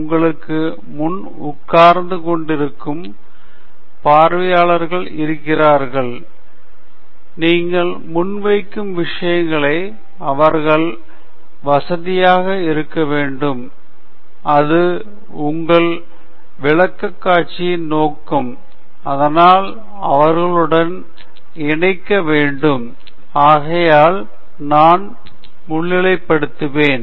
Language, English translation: Tamil, There is an audience sitting in front of you, they have to feel comfortable with the material you are presenting, and that’s the purpose of your presentation, and so you need to connect with them; so, that’s something that I will highlight